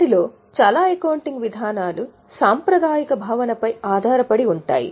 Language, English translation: Telugu, Several of those accounting policies are based on the concept of conservatism